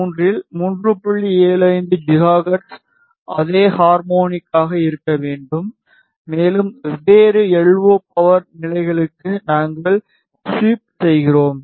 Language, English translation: Tamil, 75 gigahertz and we sweep for different LO power levels